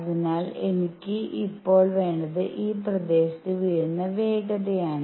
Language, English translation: Malayalam, So, what I will need now is the momentum that is falling on this area